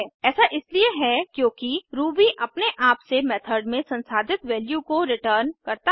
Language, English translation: Hindi, This is because Ruby automatically returns the value calculated in the method